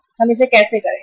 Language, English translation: Hindi, How we will do it